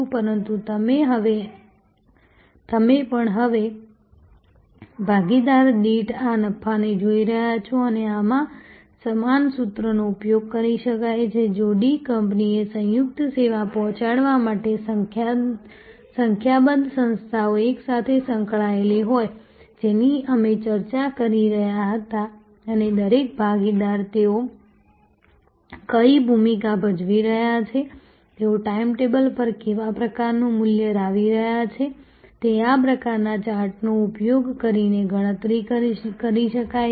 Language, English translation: Gujarati, But you are also now, looking at this profit per partner and in this the same formula can be used if there are number of organizations involved together in delivering a composite service to a D company, which we were discussing and each partner, what role they are playing, what kind of value they are bringing to the table can be calculated by using this kind of chart